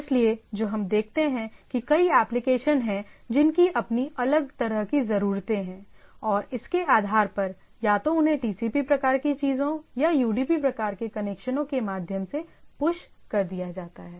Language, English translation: Hindi, So, what we see that there are several application which has their different kind of need, and based on that either they are pushed through the TCP type of things or UDP type of things, UDP type of connections